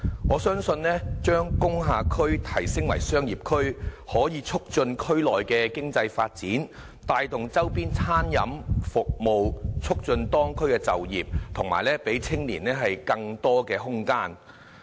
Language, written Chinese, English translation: Cantonese, 我相信將工廈區提升為商業區可以促進區內的經濟發展，帶動周邊餐飲服務，促進當區就業和讓青年有更多空間。, I think the upgrading of the industrial district to a commercial area can help promote local economic development drive the catering services in surrounding places foster local employment and offer young people greater room for development